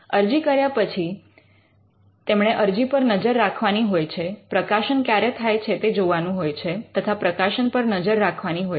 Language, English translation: Gujarati, So, after the filing it has to monitor the filing, it has to take look at when the publication happens, it has to monitor the publication